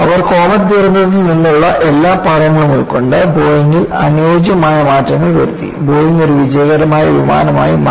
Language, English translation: Malayalam, So, they took all the lessons from the Comet disaster; made suitable modifications in the Boeing; then Boeingbecome a successful airliner